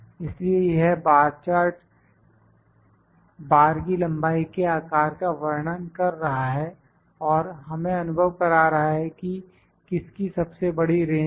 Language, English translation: Hindi, So, this bar chart is trying as the size of the length of the bar is giving us the feel that which is having a big range